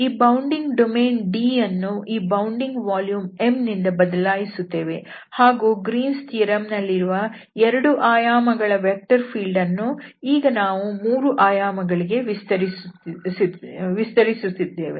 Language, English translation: Kannada, So, this bounding domain D will be replaced by this bounding volume which is M and the vector field which was in 2 dimensions for the Greens theorem, we will now extend to the 3 dimensions